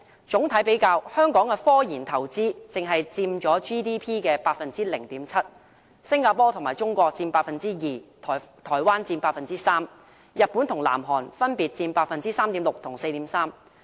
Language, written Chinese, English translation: Cantonese, 整體比較，香港的科研投資只佔 GDP 的 0.7%， 新加坡和中國佔 2%， 台灣佔 3%， 日本和南韓分別佔 3.6% 和 4.3%。, On the whole the RD investment of Hong Kong only accounted for 0.7 % of the GDP while both Singapore and China accounted for 2 % Taiwan 3 % and Japan and South Korea 3.6 % and 4.3 % respectively